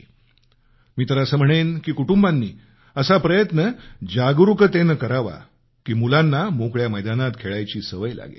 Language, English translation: Marathi, I would like the family to consciously try to inculcate in children the habit of playing in open grounds